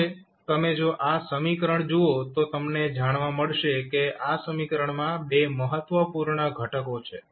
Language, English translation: Gujarati, Now, if you see this particular equation you will come to know there are 2 important components in the equation